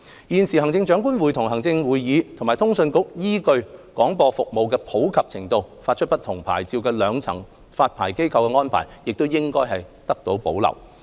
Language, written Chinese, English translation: Cantonese, 現時行政長官會同行政會議及通訊局依據廣播服務的普及程度，發出不同牌照的兩層發牌機關的安排，亦應得到保留。, The current arrangement under which the two - tier licensing regime comprising the Chief Executive in Council and CA issue different licences based on the prevalence of broadcasting services should also be retained